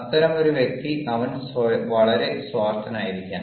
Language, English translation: Malayalam, now, such a person, he is very selfish